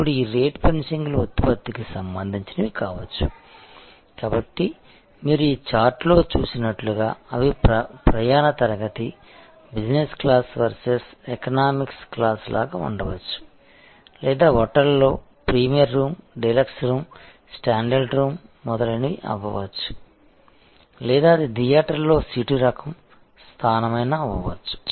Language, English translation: Telugu, Now, this rate fences can be product related, so as you see on this chart that they can be like class of travel, business class versus economic class or it could be the type of room executing room, premier room, deluxe room, standard room etc in a hotel or it could be seat location in a theater